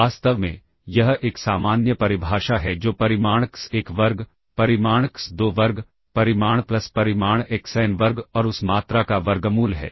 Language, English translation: Hindi, In fact, this is a general definition that is magnitude x1 square, magnitude x2 square, magnitudes plus magnitude xn square and square root of that quantity